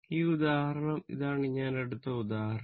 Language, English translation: Malayalam, This example this can be example I have taken